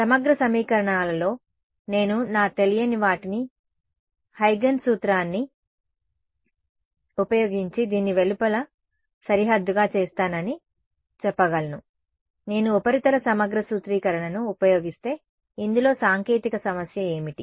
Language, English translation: Telugu, In integral equations right, I can say that I will make my unknowns using Huygens principle to be the outermost boundary of this, what is the technical difficulty in this, if I use surface integral formulation